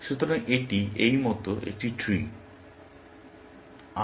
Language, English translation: Bengali, So, this is a tree like this